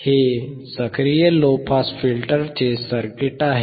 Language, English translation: Marathi, This is a circuit of an active low pass filter